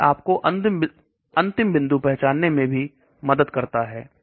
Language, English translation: Hindi, This also helps you to identify the endpoints